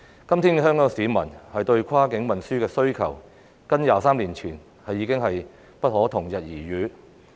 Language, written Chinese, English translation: Cantonese, 今天，香港市民對跨境運輸的需求與23年前已經不可同日而語。, Nowadays the demand of Hong Kong people for cross - boundary transport is no longer the same as it was 23 years ago